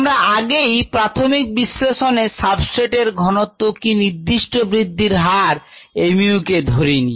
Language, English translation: Bengali, what we have done so far did not consider the effect of substrate on the specific growth rate, mu